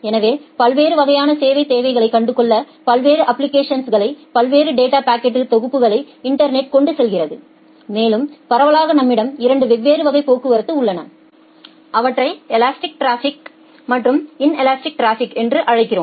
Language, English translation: Tamil, So, internet carries multiple data packets from different applications having different quality of service requirements and broadly we have 2 different classes of traffics we call them as the elastic traffic and inelastic traffic